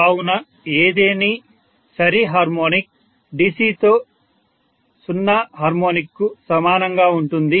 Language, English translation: Telugu, So any even harmonic is very similar to 0th harmonic which is DC